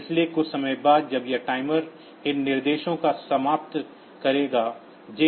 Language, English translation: Hindi, So, after some time when this timer will expire these instructions JNB TF1 back